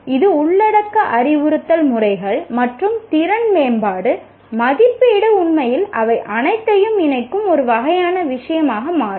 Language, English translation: Tamil, Its contents, instructional methods, and the skill development, the assessment really becomes, is a kind of a thing that links all of them